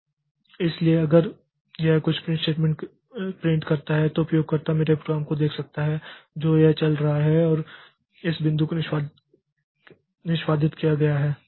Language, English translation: Hindi, So, if it print something the user is able to see okay my program it is running and it has executed up to this point